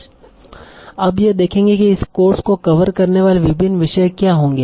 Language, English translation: Hindi, What are the different topics we'll be covering this course